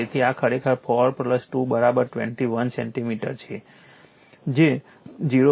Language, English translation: Gujarati, So, this is actually 4 plus 2 is equal to 21 centimeter that is 0